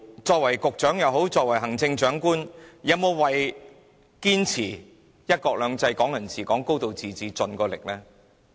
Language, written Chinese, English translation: Cantonese, 作為局長、行政長官，他們有否盡力堅持"一國兩制"、"港人治港"、"高度自治"呢？, Have all the bureau directors and the Chief Executive really done their best to defend one country two systems Hong Kong people ruling Hong Kong and a high degree of autonomy?